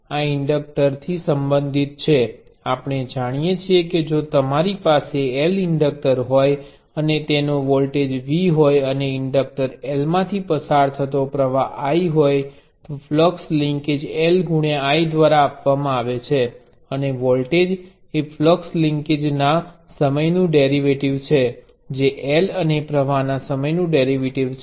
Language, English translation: Gujarati, This is related to the inductor we know that if you have a voltage V across an inductor L and current I through the inductor L the flux linkage is given by L times I, and the voltage is given by the time derivative of the flux linkage which is L times and the time derivative of the current